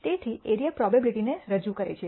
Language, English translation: Gujarati, So, the area represents the probability